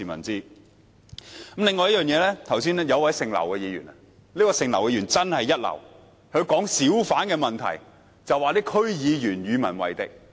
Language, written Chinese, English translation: Cantonese, 此外，剛才有位劉姓議員發言——這位劉姓議員真的一流——她談及小販的問題，指區議員與民為敵。, Furthermore a Member surnamed LAU also spoke earlier on―this Member surnamed LAU is just great―in the sense that she accused District Council DC members of antagonizing members of the public when she talked about the hawker issue